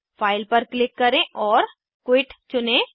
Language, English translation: Hindi, Click on File and choose Quit